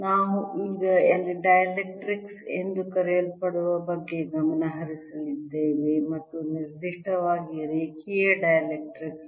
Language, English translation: Kannada, we have now going to concentrate on something called the dielectrics and in particular linear dielectrics